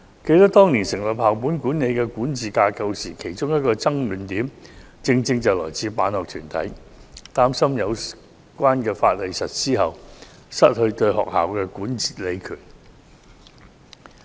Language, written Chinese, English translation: Cantonese, 記得當年討論建立校本管理管治架構時，辦學團體提出的一個爭論點是，擔心有關法例實施後會失去對學校的管理權。, As far as I remember when we discussed establishing the school - based governance structure years ago one argument of the school sponsoring bodies was that they were worried that implementation of the relevant legislation might deprive them of the school management powers